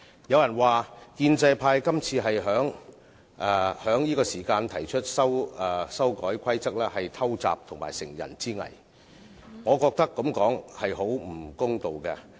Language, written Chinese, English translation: Cantonese, 有人說，建制派在這個時候提出修改《議事規則》是偷襲和乘人之危，我認為這種說法非常不公道。, Some say that pro - establishment Members proposed amendment to RoP at this juncture is a sneak attack to take advantage of the opposition camps troubles . I think this is a very unfair remark